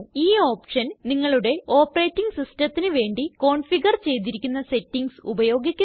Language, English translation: Malayalam, This option uses the settings configured for your operating system